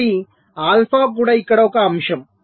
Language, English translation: Telugu, so alpha is also a factor here